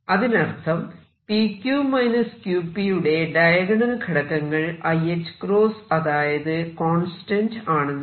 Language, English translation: Malayalam, So, the diagonal element of p q minus q p is i h cross is a constant